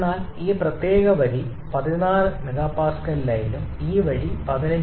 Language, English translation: Malayalam, But this particular line is the 16 MPa line and this line is that 15